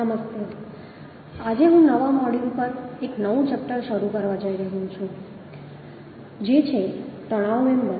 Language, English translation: Gujarati, Hello, today I am going to start a new chapter on new module, that is, tension member